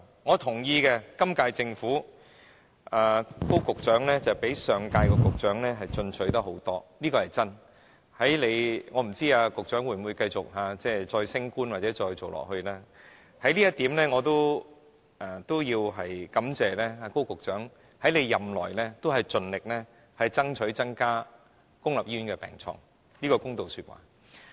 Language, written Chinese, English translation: Cantonese, 我同意，今屆政府高局長相比上任局長進取很多，這點是真的，我不知道局長會否繼續升職或再連任，我也要感謝高局長在任內盡力爭取增加公立醫院的病床，這是公道說話。, This is true . Although I do not know if the Secretary will continue to rise in the hierarchy or be re - appointed I must thank him for this efforts in increasing the number of beds in public hospitals during his term of office . This is a fair comment I must make